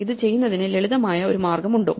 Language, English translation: Malayalam, Is there a simpler way to do this